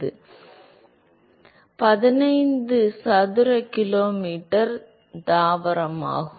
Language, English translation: Tamil, It is a 15 square kilometer plant